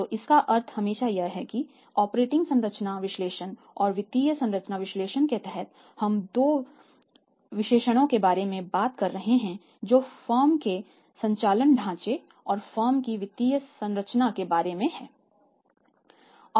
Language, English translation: Hindi, So, it means always bear in mind that under the operating structure analysis and the financial structure analysis we are talking about the two analysis operating structure of the firm and the financial structure of the firm